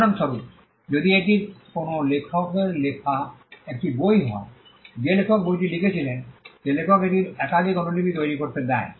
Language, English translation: Bengali, For instance, if it is a book written by an author the fact that the author wrote the book allows the author to make multiple copies of it